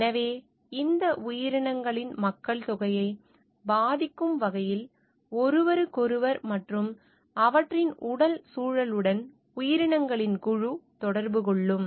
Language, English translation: Tamil, So, group of organisms, which are interacting with each other and also with their physical environment in such a way that it affects the population of these organisms